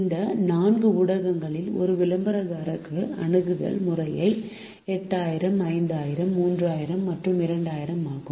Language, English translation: Tamil, the reach per advertisement in this four media are eight thousand, five thousand, three thousand and two thousand respectively